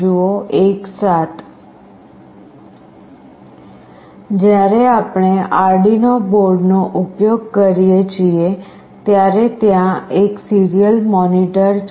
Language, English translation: Gujarati, When we are using Arduino board there is a serial monitor